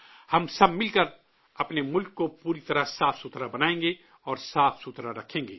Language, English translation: Urdu, Together, we will make our country completely clean and keep it clean